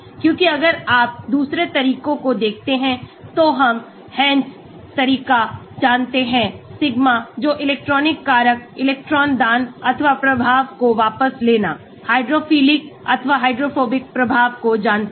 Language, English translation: Hindi, Because if you look at the other approaches the Hansch approach we know sigma the electronic factor electron donating or withdrawing effect, hydrophilic or hydrophobic effect